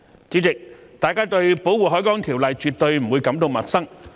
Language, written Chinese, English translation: Cantonese, 主席，大家對《條例》絕不會感到陌生。, President the Ordinance is by no means new to us